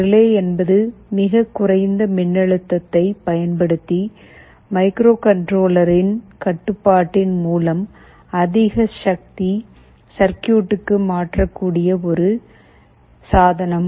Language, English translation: Tamil, Relay is a device that can switch a higher power circuit through the control of a microcontroller using a much lower voltage